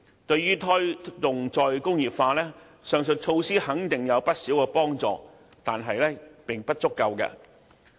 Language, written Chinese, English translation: Cantonese, 對於推動"再工業化"，該等措施肯定有不少幫助，但仍不足夠。, While those measures will definitely facilitate the promotion of re - industrialization they are still not enough